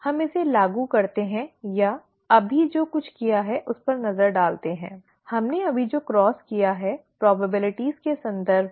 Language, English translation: Hindi, Let us apply this or let us look at whatever we did just now, the cross that we did just now, in terms of probabilities